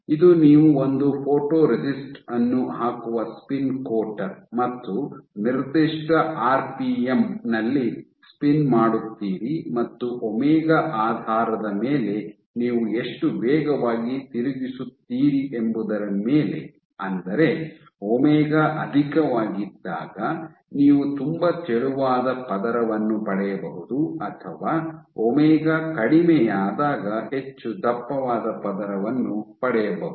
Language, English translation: Kannada, So, this is your spin coater you put a drop of photoresist, and you spin at a given rpm depending on the omega how fast your spinning it, you might get a very thin layer when your omega is high or a much thicker layer when omega is low